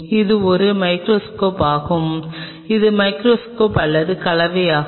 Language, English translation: Tamil, And this is a microscope which will be or compound microscope